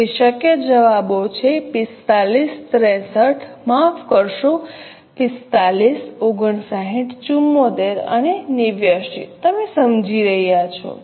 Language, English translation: Gujarati, So, possible answers are 45, 63, sorry, 45, 59, 74 and 89